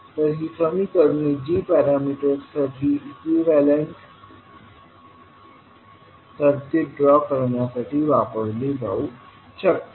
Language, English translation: Marathi, So these equations can be used to draw the equivalent circuit for g parameters